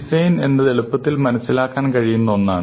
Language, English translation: Malayalam, So, design is something that is easier to understand